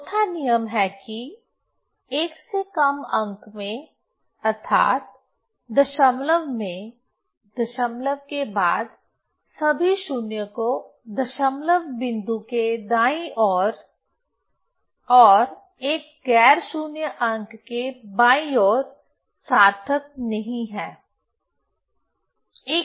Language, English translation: Hindi, Fourth rule is in a digit less than one means in in decimal in after decimal all zeros to the right of the decimal point and to the left of a non zero digit are not significant